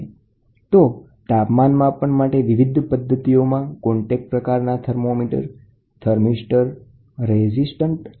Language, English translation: Gujarati, So, different methods of measuring temperature, contact type sensors are classified as the following